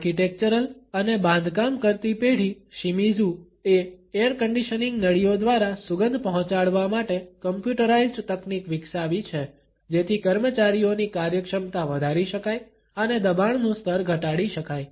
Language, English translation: Gujarati, The architectural and construction firm Shimizu has developed computerized techniques to deliver scents through air conditioning ducts, so that the efficiency of the employees can be enhanced and the stress level can be reduced